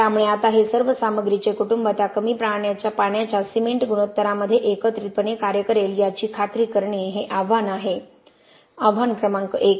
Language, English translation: Marathi, So now there is challenge is to make sure that all these family of materials act synergistically at that low water cement ratio, challenge number 1